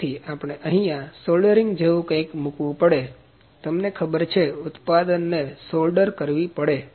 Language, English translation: Gujarati, So, we can put what kind of soldering has to be, you know, product has to be soldered